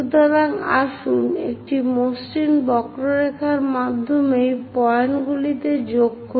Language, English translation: Bengali, So, let us join these points through a smooth curve